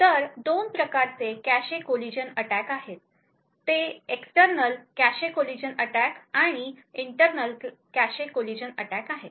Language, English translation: Marathi, collision attacks, they are external cache collision attacks and internal cache collision attacks